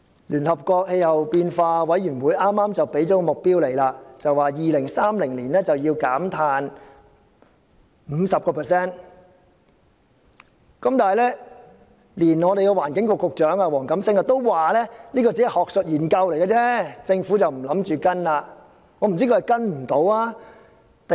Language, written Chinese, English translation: Cantonese, 聯合國氣候變化委員會剛剛提出了這方面的目標，表示在2030年要減碳 50%， 但環境局局長黃錦星也表示這只是學術研究，政府不打算跟隨。, The United Nations Intergovernmental Panel on Climate Change has just put forward a goal on this front proposing that carbon emission should be reduced by 50 % by 2030 . Yet Wong Kam - sing the Secretary for Environment has indicated that the Government does not intend to follow suit as this is merely an academic research